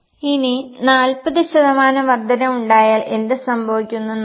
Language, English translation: Malayalam, Now let us try what will happen if there is an increase of 40%